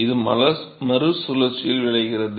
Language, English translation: Tamil, So, this results in a recirculation